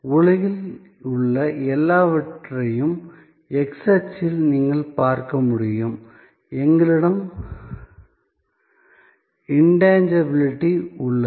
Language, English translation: Tamil, That almost everything in the world can be seen as you in the x axis, we have intangibility